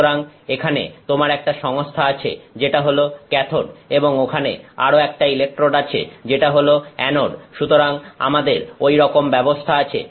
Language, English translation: Bengali, So, you have a system here which is the cathode and there is another electrode which is the anode; so, we have like that